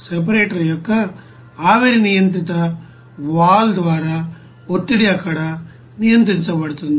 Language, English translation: Telugu, The pressure is controlled there by the vapor controlled valve of the separator